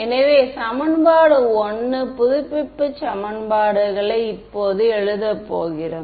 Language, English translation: Tamil, So, equation 1, we are going to write the update equations now ok